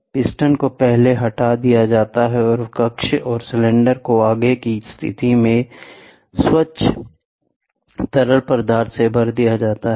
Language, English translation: Hindi, The piston is first removed, and the chamber and the cylinder are filled with clean fluid with the plunger in the forward position